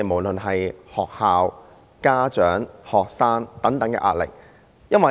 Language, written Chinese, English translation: Cantonese, 現時，學校、家長和學生等都面對很大的壓力。, At present schools parents and students are all under great pressure